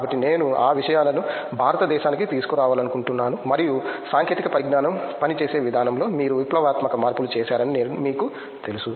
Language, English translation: Telugu, So, I would like to bring those things to India and may be you know you just revolutionize the way technology works